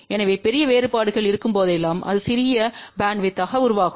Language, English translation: Tamil, So, whenever there are larger variations it will give rise to smaller bandwidth